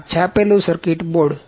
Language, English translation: Gujarati, This is printed circuit board